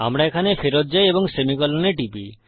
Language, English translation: Bengali, We go back here and click on semicolon